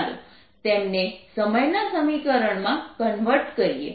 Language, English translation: Gujarati, lets convert them into the time equation